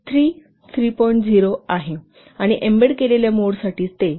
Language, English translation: Marathi, 0 and for embedded mode it is 3